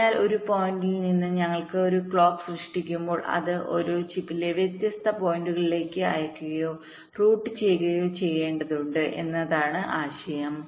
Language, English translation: Malayalam, so the idea is that when we generate a clock from some point, it has to be sent or routed to the different points in a chip